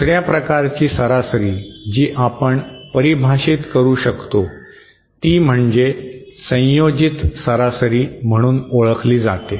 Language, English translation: Marathi, Another kind of average that we can define is what is known as the in ensemble average